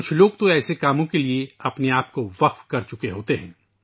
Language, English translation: Urdu, There are some people who have dedicated themselves to these causes